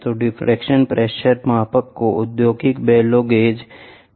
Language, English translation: Hindi, So, the differential pressure measurement is called as industrial bellow gauges